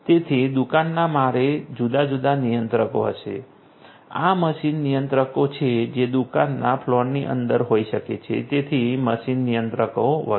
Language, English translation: Gujarati, So, shop floor will have different controllers, these are machine controllers that might be there within a shop floor so machine controllers and so on